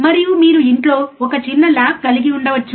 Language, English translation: Telugu, aAnd you can have a small lab at home